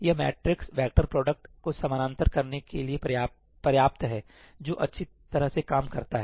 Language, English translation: Hindi, That is enough to parallelize this matrix vector product, that works well